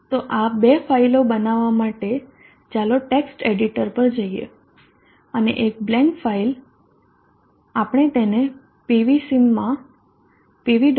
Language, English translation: Gujarati, So to create these two files let us go to a text editor and just a blank file we will save it into PV